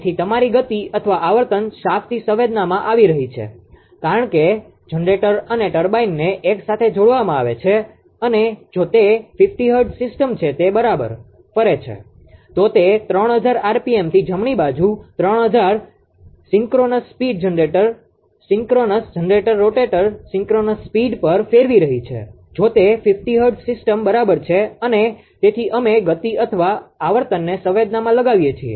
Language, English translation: Gujarati, So, ah your speed or frequency being change from the shaft because the generator turbine is coupled together and it rotating right if it is a 50 hertz system then it is rotating at 3000 ah asynchronous speed generator synchronous generator rotator synchronous speed at 3000 rpm right, if it is a 50 hertz system right and therefore, ah we are sensing the speed or the frequency